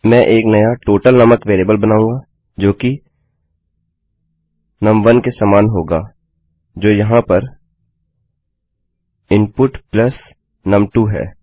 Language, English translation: Hindi, Ill make a new variable called total which will be equal to num1 which is input here plus num2 Ill break that with a semicolon